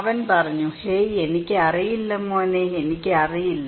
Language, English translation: Malayalam, He said hey, I have no idea man, I do not know